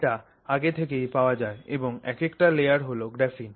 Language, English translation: Bengali, So, this is already available and these individual layers are graphene